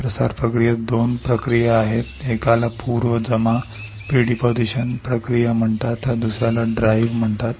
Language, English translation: Marathi, There are 2 process in diffusion process one is called pre deposition process the other is called drive